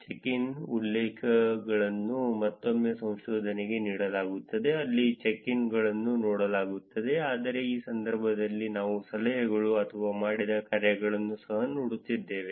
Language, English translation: Kannada, Check ins, the references is given to another research where the check ins where seen but in this case we are also looking at the tips or the dones